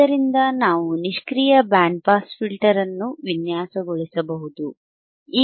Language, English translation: Kannada, We can design a passive band pass filter